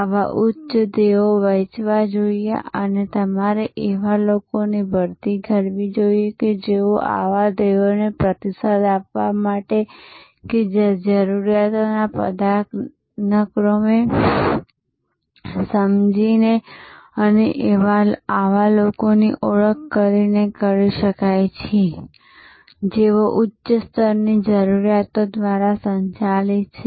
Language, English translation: Gujarati, Such lofty goals should be shared and you should recruit people, who are of that type to respond to such goals that can be done by understanding the Maslow’s hierarchy of needs and identifying such people, who are driven by the higher level of needs